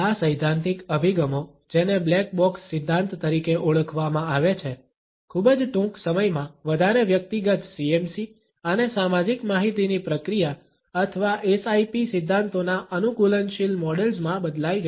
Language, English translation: Gujarati, These theoretical approaches which have been termed as the ‘black box’ theory, very soon changed into adaptive models of hyper personal CMC and social information processing or SIP theories